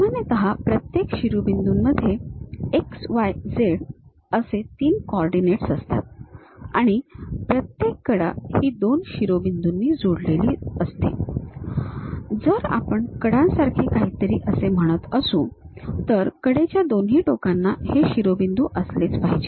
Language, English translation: Marathi, Usually, each vertex has 3 coordinates x, y, z and each edge is delimited by two vertices; if I am saying something like edge; both the ends supposed to have these vertices